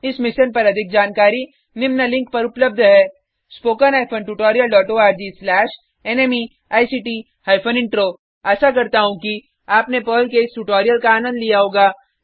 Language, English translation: Hindi, More information on this Mission is available spoken hyphen tutorial dot org slash NMEICT hyphen Intro Hope you enjoyed this Perl tutorial